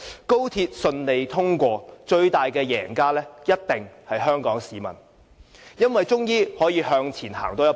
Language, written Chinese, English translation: Cantonese, 高鐵順利通車，最大的贏家一定是香港市民，因為我們終於可以向前多走一步。, If XRL is commissioned successfully the people of Hong Kong will be the biggest winner because we will finally be able to take a step forward